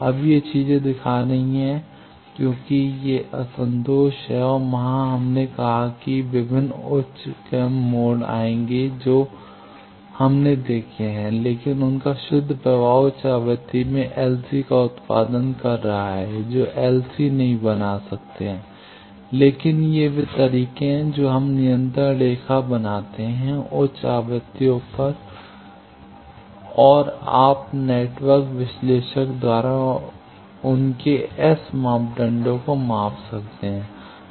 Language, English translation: Hindi, Now, these things am showing because these are discontinuities and there we said various higher order modes will come that what we have seen, but net effect of them is producing an LC in high frequency with cannot fabricate LC, but these are way we fabricate LC at high frequencies and you can measure that their S parameters by network analyzer